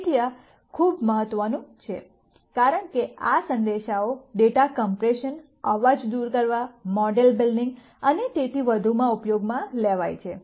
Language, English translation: Gujarati, So, this is very important, because these ideas are used quite a bit in data compression, noise removal, model building and so on